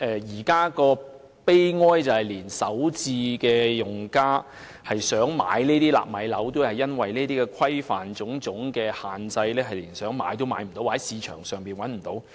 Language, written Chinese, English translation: Cantonese, 現在的悲哀是，即使首次置業用家想購買這些"納米樓"，但卻因為種種規範和限制，想買也買不到，或市場上已找不到這些單位。, At present it is pathetic that even if potential first - time owner - occupiers want to buy these nano flats they cannot do so because of various regulations and restrictions or because no such flats are available in the market